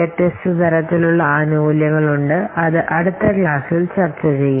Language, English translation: Malayalam, So, there are the different types of benefits are there which we will discuss in the next class